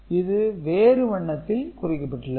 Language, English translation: Tamil, So, this is in a different color